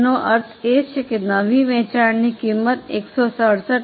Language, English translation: Gujarati, That means new selling price is 167